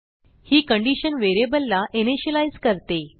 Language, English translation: Marathi, This condition allows the variable to be initialized